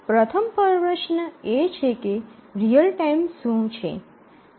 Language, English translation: Gujarati, So, the first question is that what is real time